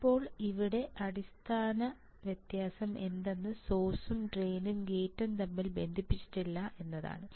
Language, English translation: Malayalam, Now the basic difference here is that if you see, the drain gate n source these are not connected